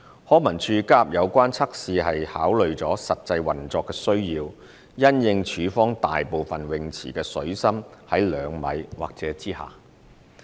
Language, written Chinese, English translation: Cantonese, 康文署加入有關測試是考慮了實際運作需要，因應署方大部分泳池的水深是2米或以下。, The new rescue test is included taking into account the actual operational needs since most of the swimming pools of LCSD have a water depth of two metres or less